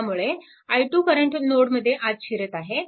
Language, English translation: Marathi, So, this is your i x current leaving the node right